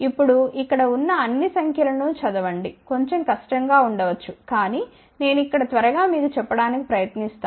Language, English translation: Telugu, Now, it may be little difficult to read all the numbers over here, but I will just try to tell you quickly here